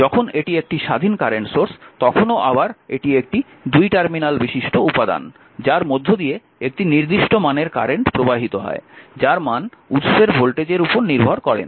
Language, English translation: Bengali, So, an independent current source, when it is independent current source again it is a two terminal elements, it is a two terminal element that provides a specified current right your, what you call completely independent of the voltage across the source